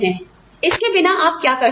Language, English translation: Hindi, What is, you know, what can you do, without